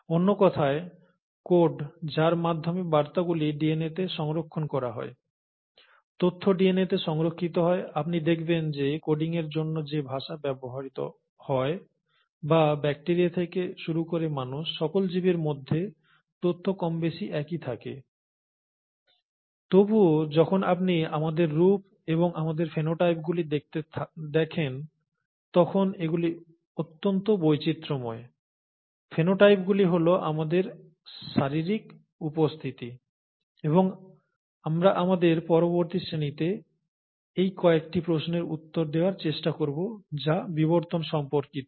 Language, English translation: Bengali, In other words, the codes by which the messages are stored in DNA, the information is stored in DNA, you find that that language which is used for coding, or information has remained more or less uniform all across life, starting from bacteria all the way from human beings, and yet, they are highly diverse when you look at our forms and our phenotypes; phenotypes are our physical appearances, and we’ll try to answer some of these questions in our next class which is on evolution